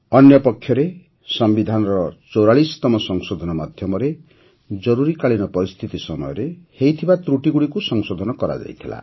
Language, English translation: Odia, Whereas, through the 44th Amendment, the wrongs committed during the Emergency had been duly rectified